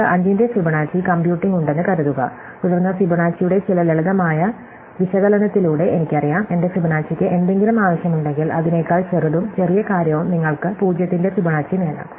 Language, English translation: Malayalam, So, supposing we have computing Fibonacci of 5, then by some simple analysis of Fibonacci, we know that if Fibonacci of I requires anything at all, it requires things smaller than it and the smallest thing you can get a Fibonacci of 0